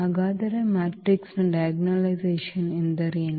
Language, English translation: Kannada, So, what is the diagonalization of the matrix